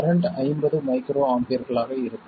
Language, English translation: Tamil, The current will be 50 microamper